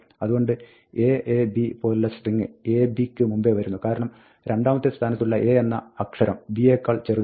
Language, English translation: Malayalam, So, string like aab will come before ab, because, the second position a is smaller than b